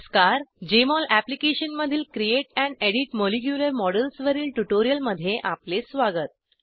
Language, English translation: Marathi, Welcome to this tutorial on Create and Edit molecular models in Jmol Application